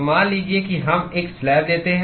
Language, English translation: Hindi, So, supposing we take a slab